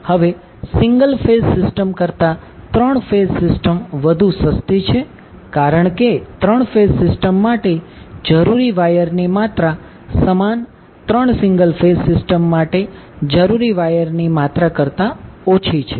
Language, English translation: Gujarati, Because the amount of wire which is required for 3 phase system is lesser than the amount of wire needed for an equivalent 3 single phase systems